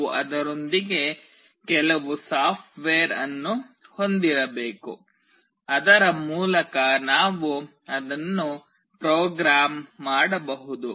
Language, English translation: Kannada, We need to have some software associated with it through which we can program it